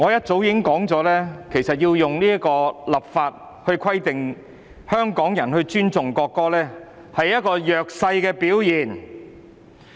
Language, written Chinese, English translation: Cantonese, 主席，我很早便已指出，以立法來規定香港人尊重國歌其實是弱勢的表現。, Chairman as I have pointed out very early on it is actually a show of weakness to oblige Hong Kong people to respect the national anthem by means of legislation